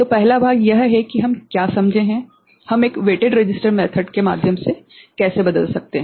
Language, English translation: Hindi, So, the first part is what we understand how we can convert through a weighted resistor based method